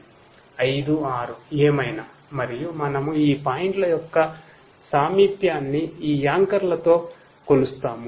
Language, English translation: Telugu, 5 6 whatever and we measure the proximity of each of these points to these anchors